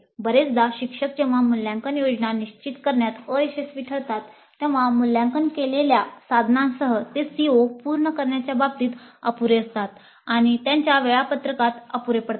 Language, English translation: Marathi, Often the instructors when they fail to determine the assessment plan may end up with assessment instruments which are inadequate in terms of covering the COs or inadequate in terms of their schedule